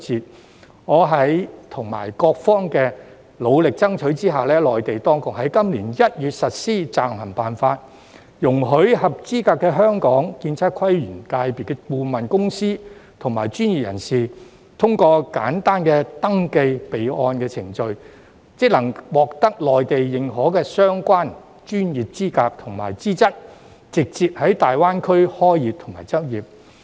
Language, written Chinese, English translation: Cantonese, 經過我和各方努力爭取，內地當局在今年1月實施《暫行辦法》，容許合資格的香港建測規園界顧問公司及專業人士，通過簡單的登記備案程序，即可獲得內地認可的相關專業資格和資質，直接在粵港澳大灣區開業和執業。, With the efforts made by me and various parties the Mainland authorities introduced the Interim Guidelines in January this year under which eligible consultant firms and professionals in the architectural surveying town planning and landscape sectors from Hong Kong are allowed to acquire by way of simple registration corresponding professional qualifications recognized in the Mainland so that they can start business and practise in the Guangdong - Hong Kong - Macao Greater Bay Area GBA directly